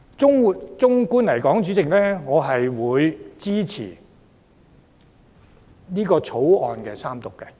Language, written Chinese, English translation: Cantonese, 主席，整體來說，我支持《條例草案》三讀。, President generally speaking I support the Third Reading of the Bill